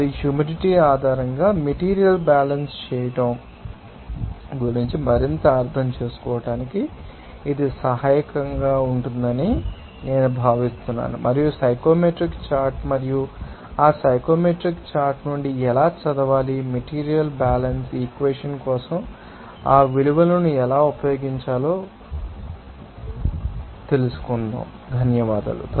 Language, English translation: Telugu, And I think it would be helpful for you for your further understanding of doing the material balance based on the humidity and also it will be helpful how to read that psychometric chart and from that psychometric chart, how to use those values for the material balance equation thank you